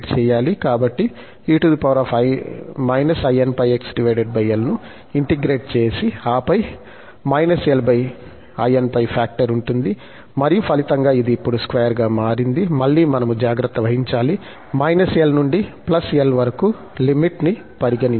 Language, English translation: Telugu, So, e power minus in pi x over l and then there will be factor l over in pi, which and as a result, this has become now the square and again, we have to take care the limits from minus l to plus l